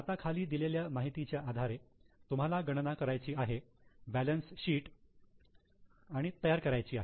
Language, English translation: Marathi, Now on the basis of information given below you have to calculate and prepare the balance sheet